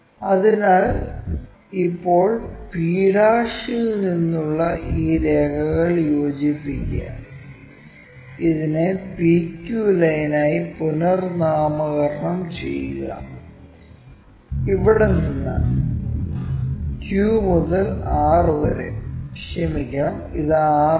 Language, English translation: Malayalam, So, now join these lines from p' join this one, rename this one as PQ line; and from here Q to R I am sorry, this is not this is R